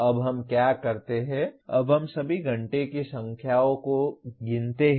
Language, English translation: Hindi, Now what we do, we now count all the number of hours